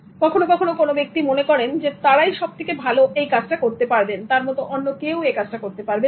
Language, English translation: Bengali, Sometimes people think that they are the best ones and then nobody can do the work like that